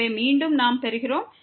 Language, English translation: Tamil, So, again we get